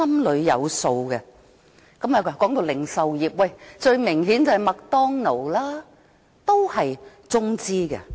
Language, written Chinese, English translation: Cantonese, 談到零售業，最明顯的例子是麥當勞，也是中資的。, As for the retail industry the most typical example is McDonalds which is also Mainland - funded